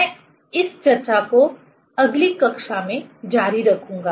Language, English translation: Hindi, I will continue this discussion in next class